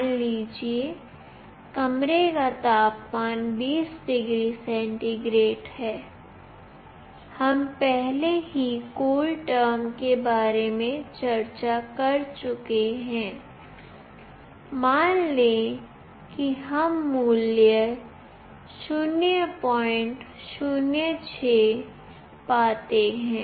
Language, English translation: Hindi, Suppose, the room temperature is 20 degree centigrade, we have already discussed about CoolTerm; suppose we find the value as 0